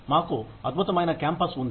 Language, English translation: Telugu, We have a fantastic campus